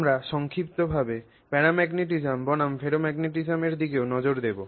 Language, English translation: Bengali, We will also briefly look at paramagnetism versus ferromagnetism, at least as a concept what they are